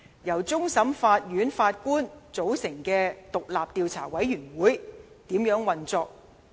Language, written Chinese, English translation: Cantonese, 由終審法院首席法官組成的獨立調查委員會如何運作？, How should the independent investigation committee formed by the Chief Justice of the Court of Final Appeal carry out the investigation?